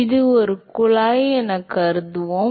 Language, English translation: Tamil, So, suppose let us consider a tube ok